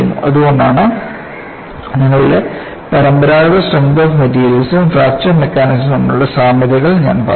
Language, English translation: Malayalam, That is why; I said it has commonalities between your conventional strength of materials, as well as in Fracture Mechanics